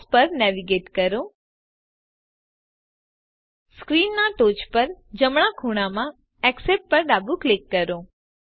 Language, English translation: Gujarati, Navigate to Fonts Left click Accept at the top right corner of the screen